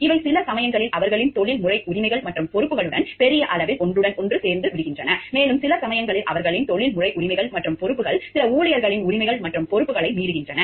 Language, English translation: Tamil, These are over sometimes to large extent overlapping with their professional rights and responsibilities and there are something more also, sometimes their professional rights and responsibilities also overrides some of their employees rights and responsibilities